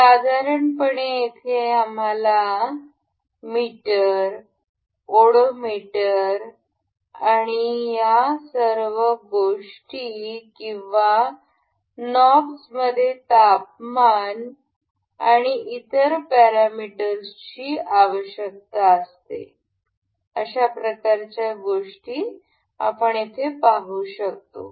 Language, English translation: Marathi, Generally, we can see such kind of things in meters, the odometers and all these things or knobs that required setting of temperatures and other parameters